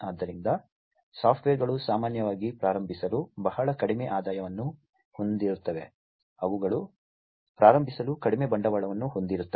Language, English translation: Kannada, So, startups typically have very small revenues to start with, they have very less capital to start with